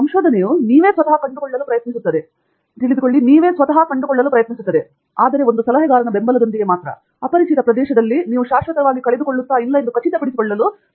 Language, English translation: Kannada, Research is all about trying to find out by yourself, but with the support of an advisor who will make sure that you are not lost in the unknown territories forever